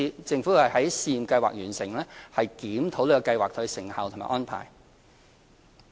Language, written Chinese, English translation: Cantonese, 政府會在試驗計劃完成後檢視計劃的成效和安排。, The Government will review the effectiveness and arrangements upon the Pilot Schemes expiry